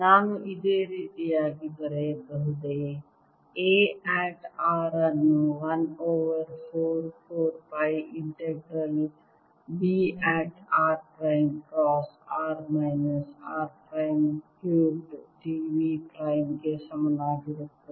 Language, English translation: Kannada, can i, in a similar manner therefore write: a at r is equal to one over four pi integral b at r prime cross r minus r prime over r minus r prime cube d b prime